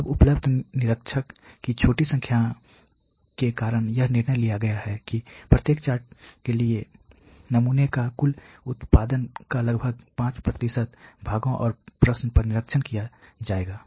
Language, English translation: Hindi, Now due to small number of available inspection personal it has been decided here that for each chart the sample would be inspected approximately 5% of the total production on the parts and question